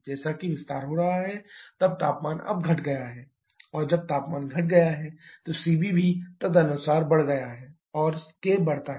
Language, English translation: Hindi, As the expansion is happening temperature is decreasing now when temperature is decreasing Cv also decreases accordingly k increases